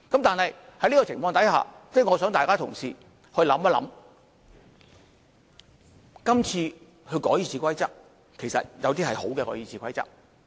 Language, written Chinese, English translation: Cantonese, 但是，在這情況下，我想大家同事思考一下，今次修改《議事規則》，其實有些是好的《議事規則》。, But in this case I wish Members should think about it . As to the amendments to the Rules of Procedure this time around some of the rules are actually really good ones